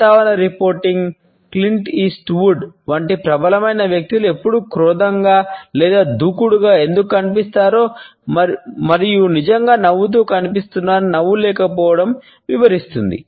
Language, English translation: Telugu, Lack of smiling explains why many dominant individuals such as weather reporting, Clint east wood always seem to the grumpy or aggressive and are really seen smiling